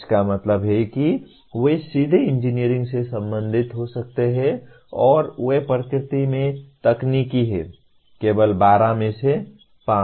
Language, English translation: Hindi, That means they can be related directly to engineering and they are technical in nature, only 5 out of the 12